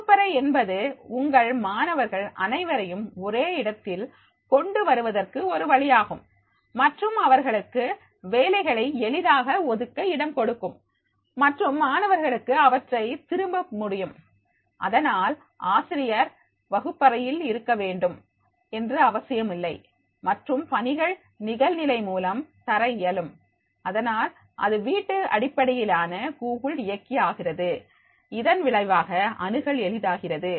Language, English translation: Tamil, Classroom is a way to get all of your students in one place and allows you to easily assign work and for students to turn it in, so therefore it is not necessarily that is the teacher has to be present into the classroom and the assignments can be given online and therefore it becomes the home based for the Google drive and as a result of which easy access is there